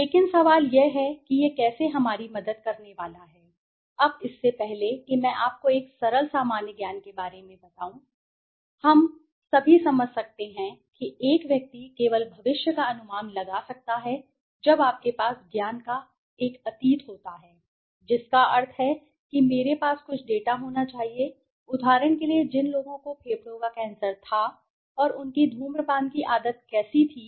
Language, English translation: Hindi, But the question is how is this going to help us, now before this let me tell you with a simple common sense we can all understand that a person can only you can only predict the future when you have a past in knowledge that means I should be having certain data, for example of people who had lung cancer and how was their smoking habit